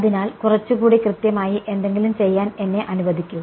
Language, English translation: Malayalam, So, you see let me do something a little bit more accurate